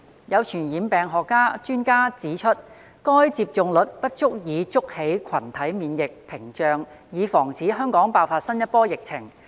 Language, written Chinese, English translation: Cantonese, 有傳染病學專家指出，該接種率不足以築起群體免疫屏障以防止香港爆發新一波疫情。, An expert on epidemiology has pointed out that such a take - up rate is inadequate to build a herd immunity barrier to guard Hong Kong against the outbreak of a new wave of epidemic